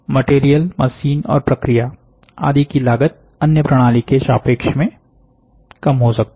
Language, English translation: Hindi, Low material, machines, and process cost relative to other AM system can be done